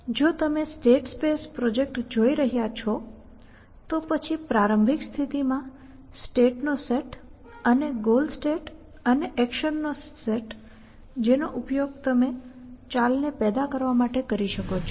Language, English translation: Gujarati, If you are looking at the state space project then the set of states in a start state and a goal state and a set of action that you can use to generate the moves essentially